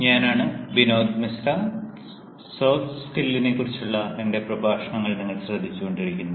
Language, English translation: Malayalam, this is binod mishra and you are listening to my lectures on soft skills